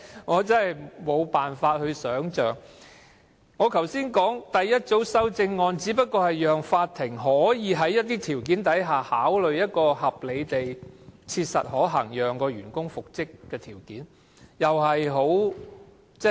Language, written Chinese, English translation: Cantonese, 我剛才說的第一組修正案，只不過是讓法庭可以在某些情況下，考慮一個合理地切實可行的條件，讓員工復職。, That is totally beyond me . Just now I pointed out that my first group of amendments only stipulated certain circumstances under which the court could consider whether it was reasonably practicable to reinstate an employee